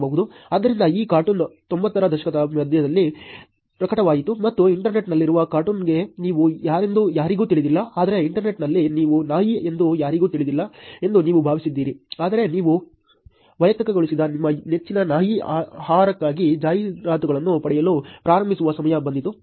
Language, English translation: Kannada, So, this cartoon was published in mid nineties and the cartoon that there is on the internet nobody knows who you are, but then you thought that on the internet nobody knew you were a dog, but then came a time when you started getting personalized ads for your favourite brand of dog food